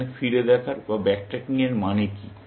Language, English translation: Bengali, What does back tracking mean here